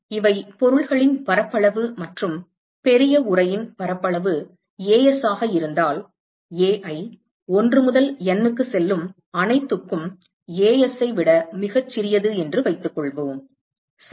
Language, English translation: Tamil, So, A1, A2, … these are the surface area of the objects and supposing if the surface area of the large enclosure is As and let us assume that Ai, for all i going from 1 to N is much smaller than As, ok